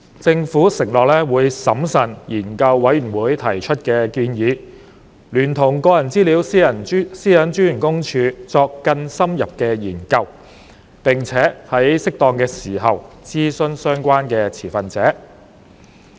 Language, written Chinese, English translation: Cantonese, 政府承諾會審慎研究事務委員會提出的建議，聯同個人資料私隱專員公署作更深入的研究，並且在適當時候諮詢相關持份者。, The Government undertook that it would carefully examine the Panels proposals conduct more in - depth studies with the Office of the Privacy Commissioner for Personal Data and consult the relevant stakeholders when appropriate